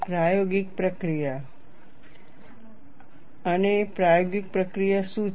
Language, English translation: Gujarati, And what is the experimental procedure